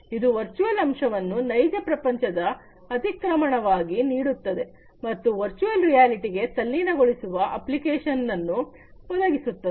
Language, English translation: Kannada, It delivers virtual elements as an in as an encrust of the real world and virtual reality it offers immersive application